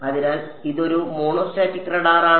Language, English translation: Malayalam, So, this is a monostatic radar